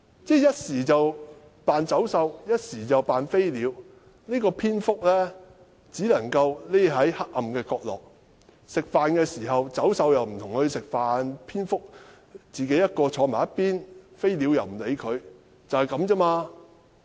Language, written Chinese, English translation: Cantonese, 他一時扮走獸，一時又扮飛鳥，蝙蝠只是躲在黑暗的角色，走獸不會與牠一起吃飯，蝙蝠獨自坐在一旁，飛鳥亦不理睬牠，就是這樣子。, He plays the role of the beast at some time and of the bird at other time . The bat hides in the dark and the beast will not eat with it . The bat sits aside alone and the bird will not speak to it